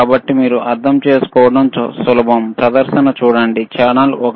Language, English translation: Telugu, So, it is easy for you to understand, see the display channel one ok,